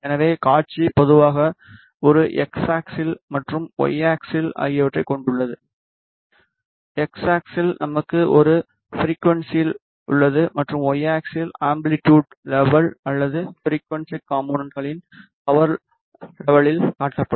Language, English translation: Tamil, So, the display typically has an x axis and the y axis, on the on the x axis we have a frequency and on the y axis the amplitude level or the power level of the frequency components are displayed